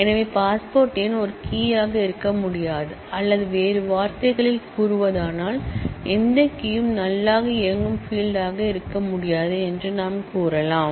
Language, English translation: Tamil, So, we have to say that passport number cannot be a key or in other words, we can say that no key can be a null able field